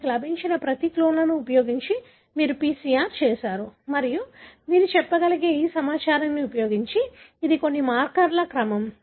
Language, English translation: Telugu, You have done PCR using each one of the clones that you have got and you are able to, using this information you are able to say, this is the order of all the markers